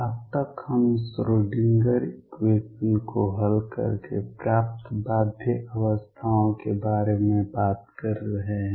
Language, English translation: Hindi, So, far we have been talking about bound states as obtained by solving the Schrödinger equation